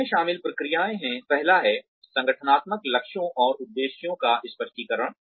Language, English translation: Hindi, The processes involved in this are, the first one is, clarification of organizational goals and objectives